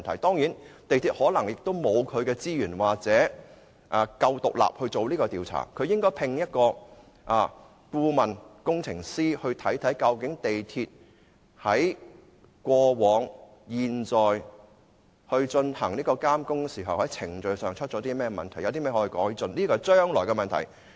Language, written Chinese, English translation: Cantonese, 當然，港鐵公司可能沒有資源或足夠的獨立性進行調查，而應該聘請顧問工程師看看究竟港鐵公司在過往及現在進行監工時，或程序上出了甚麼問題，有甚麼地方可以改進，這是將來的問題。, Certainly MTRCL may not have the resources or may not be independent enough to conduct the inquiry . It should engage an engineering consultant to review the procedural problems of MTRCL in monitoring the works in the past and at present; and how improvements can be made in the future